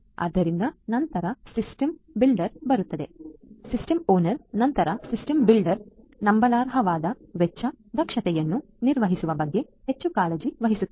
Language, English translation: Kannada, So, system then comes the system builder; after the system owner, the system builder who is more concerned about building a cost efficient trust worthy the system